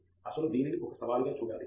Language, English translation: Telugu, Actually, one should look at it as a challenge